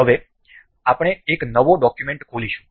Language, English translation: Gujarati, We now will open up new document